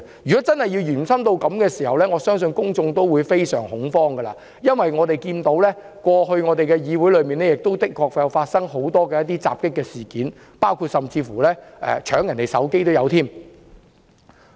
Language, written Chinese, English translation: Cantonese, 如果真的延伸至此，我相信公眾會非常恐慌，因為我們看見，過去議會的確曾發生多宗襲擊事件，甚至包括搶奪別人的手機。, If they do I believe the public will be alarmed because we see that various incidents of assault including snatching someones mobile phone did happen in the Legislative Council before